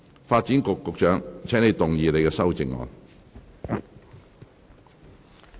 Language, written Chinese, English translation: Cantonese, 發展局局長，請動議你的修正案。, Secretary for Development you may move your amendments